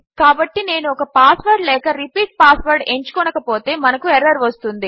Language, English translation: Telugu, So if I didnt chose a repeat or a password we get our error